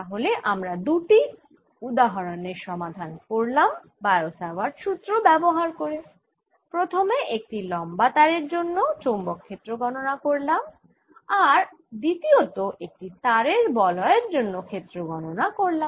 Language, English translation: Bengali, so we have to solve two examples of getting magnetic field using bio savart's law, where we calculate: one, the field due to a long wire and two, the field due to a ring of wire